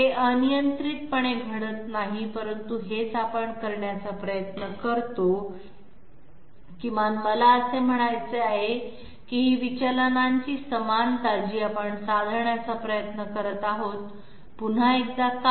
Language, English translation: Marathi, This is not arbitrarily happening, but this is what we try to do at least I mean this equality of the deviations we try to achieve, once again why